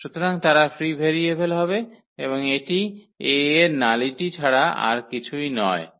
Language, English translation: Bengali, So, they will be free variables and that is nothing but the nullity of A